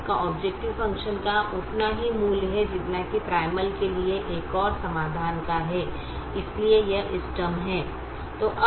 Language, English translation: Hindi, it has the same value of the objective function as that of another solution to the primal